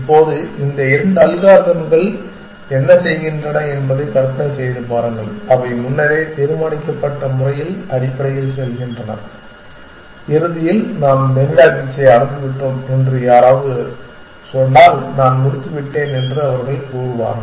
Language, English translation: Tamil, Now, imagine what these two algorithms are doing they just go of in the predetermine manner essentially and eventually of course if somebody tells them we have reached Marina beach they will say I am done